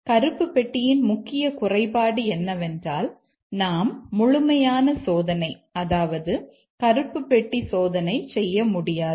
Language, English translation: Tamil, One of the main shortcoming of the black box is that we cannot do exhaustive testing, black box testing